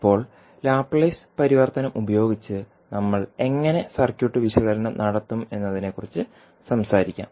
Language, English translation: Malayalam, Now, let us talk about how we will do the circuit analysis using Laplace transform